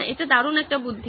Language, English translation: Bengali, That is a great idea